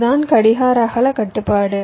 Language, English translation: Tamil, that is the clock width constraint